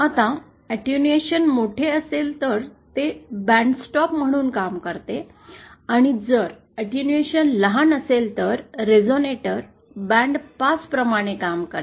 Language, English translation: Marathi, Now depending on if the attenuation is large, it acts as a bandstop and if the attenuation is large, then the resonator will act like bandpass